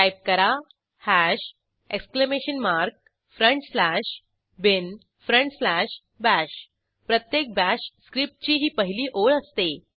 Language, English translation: Marathi, Now, type hash exclamation mark front slash bin front slash bash This is the first line of every bash script